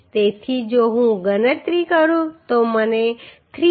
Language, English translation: Gujarati, So if I calculate I will get the value as 334